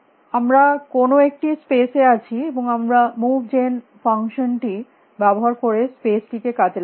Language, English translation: Bengali, We are in some space and we are exploring the space by using move gen function